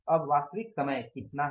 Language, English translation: Hindi, Actual time is how much